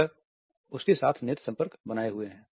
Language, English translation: Hindi, He holds eye contact with her